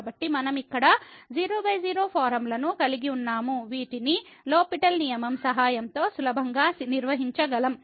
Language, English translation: Telugu, So, we have here 0 by 0 form which we can easily handle with the help of L’Hospital rule